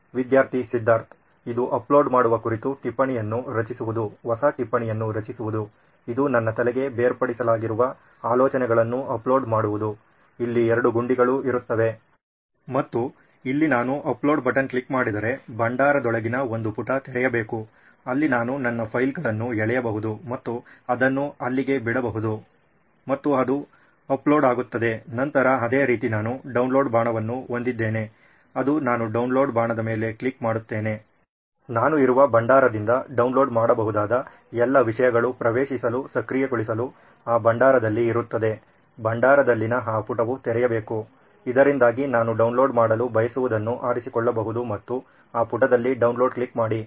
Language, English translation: Kannada, This is more of creating the note on uploading, creating a new note this would be, uploading what I was thinking which is popped into my head what will have is two buttons here and here where if I click on the upload button, a page inside the repository should open, where I can drag my files and drop it into there and it gets uploaded, then similarly I will have a down arrow which I click on the down arrow, all the downloadable content in the repository which I am enable to access will be there in that repository, that page in the repository should open, so that I can choose what I want to download and click on download in that, in that page